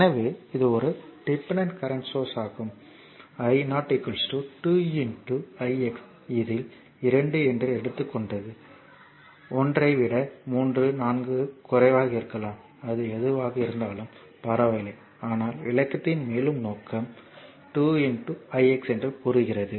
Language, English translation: Tamil, So, this is a dependent current source this is i 0 is equal to say 2 into i x say 2 is it is 2 i have taken it may be 3 4 less than 1 whatever it is it does not matter right, but further purpose of explanation say it is 2 into i x